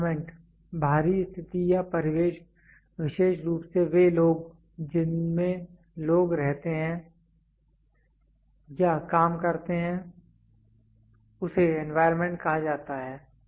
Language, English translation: Hindi, Environment: external conditions or surroundings especially those in which people live or work is called as environment